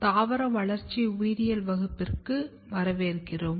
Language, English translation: Tamil, Welcome back to Plant Developmental Biology